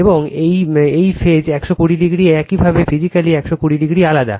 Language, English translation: Bengali, And these winding that 120 degree your physically 120 degree a apart